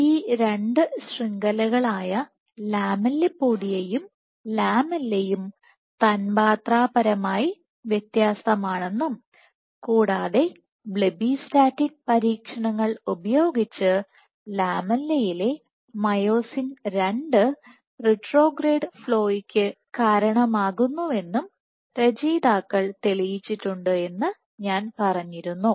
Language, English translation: Malayalam, What we also, I also told you was that these two networks lamellipodia and lamella are molecule indistinct, and using Blebbistatin experiments the authors had shown that myosin II in the lamella contributes to retrograde flow